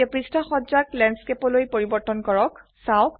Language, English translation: Assamese, Now change the page orientation to Landscape